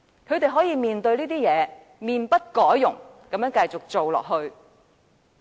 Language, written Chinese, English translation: Cantonese, 他們面對這些問題，可以面不改容，繼續做下去。, In the face of these problems they remain calm and insist on their ways